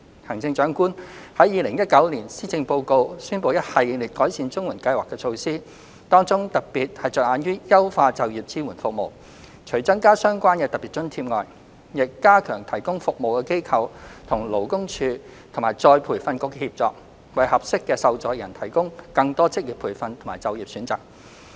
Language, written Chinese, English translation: Cantonese, 行政長官在2019年施政報告宣布一系列改善綜援計劃的措施，當中特別着眼於優化就業支援服務，除增加相關的特別津貼外，亦加強提供服務的機構與勞工處及再培訓局的協作，為合適的受助人提供更多職業培訓和就業選擇。, The Chief Executive has announced a series of improvement measures on the CSSA Scheme in the 2019 Policy Address with particular focus on enhancing the employment support services . Apart from increasing the relevant special allowance the collaboration among the service - providing organizations LD and ERB is also enhanced to provide more vocational training and employment choices to suitable recipients